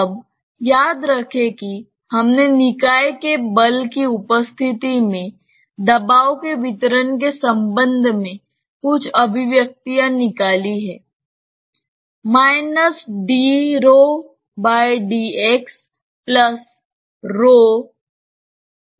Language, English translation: Hindi, Now, recall that we derived certain expressions with regard to distribution of pressure in presence of body force